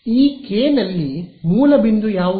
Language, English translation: Kannada, In this K, what is the source point